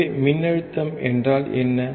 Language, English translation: Tamil, So, what is the voltage